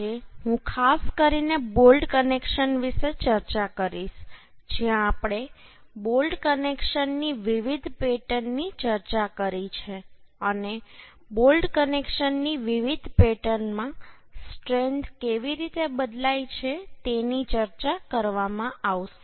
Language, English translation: Gujarati, I will discuss about the bolt connections in particular, where the different pattern of bolt connections we have discussed and in different pattern of bolt connections how the strength is going vary, that will be discussed Now